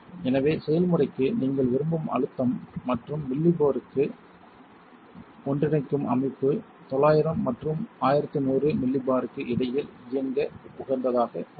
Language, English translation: Tamil, So, that the pressure you want for the process and the unites for Millipore the system is optimized to run between 900 and 1100 Millipore